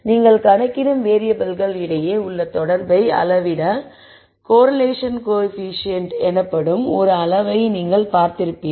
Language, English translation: Tamil, You would have seen a quantity called correlation coefficient or quantity that measures the correlation between variables that you calculate